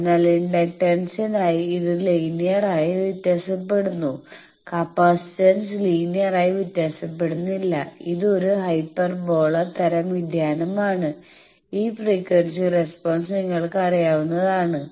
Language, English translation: Malayalam, So, for inductance it is linearly varying for capacitance it varies not inductly, it is a hyperbola type of variation and you know this this this frequency response is known